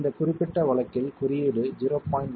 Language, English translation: Tamil, And in this particular case, the code uses a value of 0